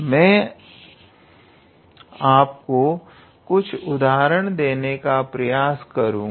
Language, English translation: Hindi, I would also try to give you some examples